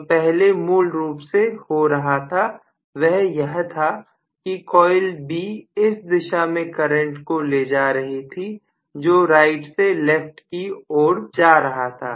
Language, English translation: Hindi, Only thing is what happens originally was coil B was carrying a current in the direction which is going from right to left